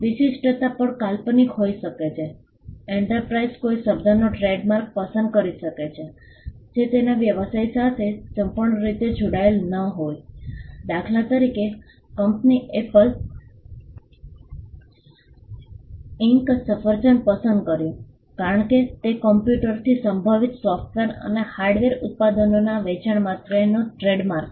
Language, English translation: Gujarati, The distinctiveness can also be fanciful, enterprise may choose a trademark of a word which is entirely unconnected with its business; for instance, the company apple inc chose apple as it is trademark for selling software and hardware products relating to computers